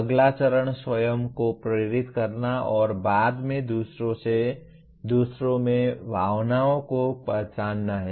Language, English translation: Hindi, Next stage is motivating oneself and subsequently recognizing emotions in others